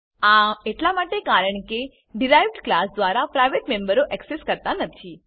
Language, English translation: Gujarati, This is because the private members are not accessed by the derived class